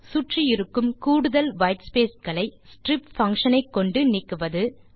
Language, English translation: Tamil, Get rid of extra white spaces around using the strip() function